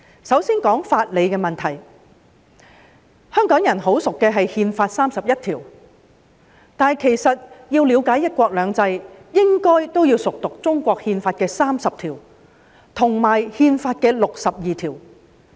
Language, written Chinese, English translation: Cantonese, 香港人十分熟悉的是《中華人民共和國憲法》第三十一條，但其實要了解"一國兩制"，也應該熟讀《憲法》第三十及六十二條。, The people of Hong Kong are very familiar with Article 31 of the Constitution of the Peoples Republic of China but in order to understand one country two systems we should also familiarize ourselves with Articles 30 and 62 of the Constitution